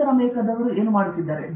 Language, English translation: Kannada, What are the North Americans working on